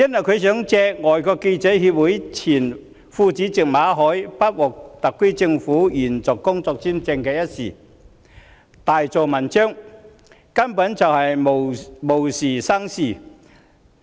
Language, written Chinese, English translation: Cantonese, 香港外國記者會前副主席馬凱不獲特區政府延續工作簽證，她想藉此大做文章，根本是無事生非。, She made a fuss about the SAR Governments rejection of the work visa application of Victor MALLET former Vice President of the Foreign Correspondents Club Hong Kong FCC